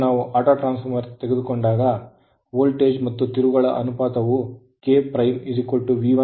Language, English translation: Kannada, Now, when you take Autotransformer as an autotransformer its voltage and turns ratio will be V K dash is equal to V 1 upon V 2